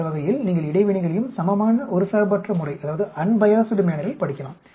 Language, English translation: Tamil, That way you can study the interactions also in a equal unbiased manner